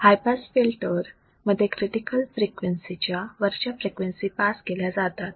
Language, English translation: Marathi, The passband of a high pass filter is all frequencies above critical frequencies